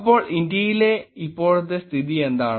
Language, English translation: Malayalam, So, here is the situation what is in India now